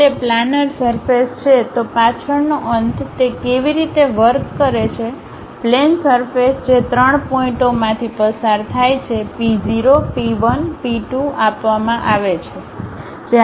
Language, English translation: Gujarati, If it is a planar surface, the back end how it works is; a plane surface that passes through three points P 0, P 1, P 2 is given